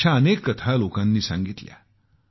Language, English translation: Marathi, Many such stories have been shared by people